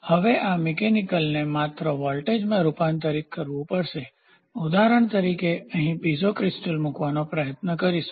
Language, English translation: Gujarati, So, now this mechanical has to get converted into voltage just as an example, we can try to I put a Piezo crystal here